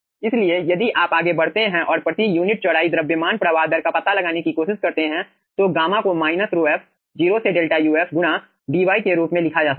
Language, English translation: Hindi, okay, so if you go further and try to find out the aah, aah, the mass flow rate per unit width, so gamma can be written as minus rho f, 0 to delta uf into dy